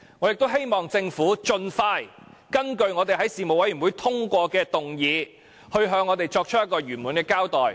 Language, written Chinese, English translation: Cantonese, 我亦希望政府盡快根據我們在事務委員會通過的議案，向我們作出圓滿的交代。, I also hope that the Government can expeditiously make a full explanation to us in accordance with the motions passed in the Panel